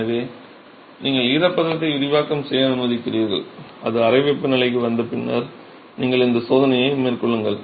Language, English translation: Tamil, So, you allow for moisture expansion, let it come down to room temperature and then you carry out this test